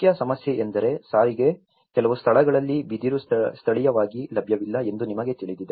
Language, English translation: Kannada, The main issue is the transport, you know like in certain places bamboo is not locally available